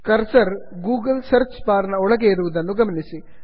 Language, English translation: Kannada, Notice that the cursor is now placed inside the Google search bar